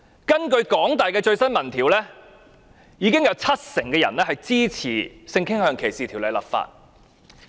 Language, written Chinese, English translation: Cantonese, 根據香港大學的最新民意調查，有七成人支持就性傾向條例立法。, According to the latest opinion poll conducted by the University of Hong Kong HKU 70 % of people supported the enactment of legislation on sexual orientation